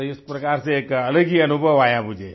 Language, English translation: Hindi, So I had a different sort of experience in this manner